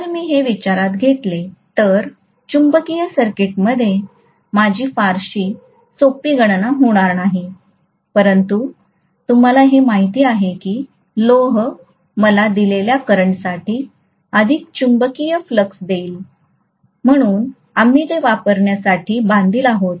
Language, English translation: Marathi, If I take that into consideration, I will not have very simple calculations in the magnetic circuit, but we are kind of you know constrained by the fact that iron is going to give me more magnetic flux for a given current, so we are bound to use that